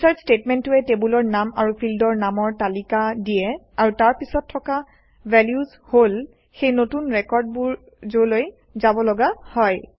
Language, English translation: Assamese, The INSERT statement lists the table name and the field names and then the Values that need to go into the new record